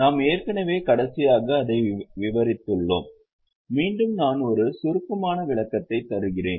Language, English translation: Tamil, We have already revised it last time but I will just give a brief revision